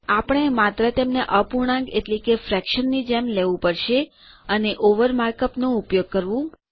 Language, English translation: Gujarati, We just have to treat them like a fraction, and use the mark up over